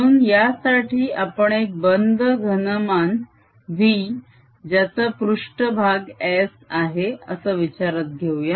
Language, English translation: Marathi, so for this let us consider an enclosed volume, v with surface s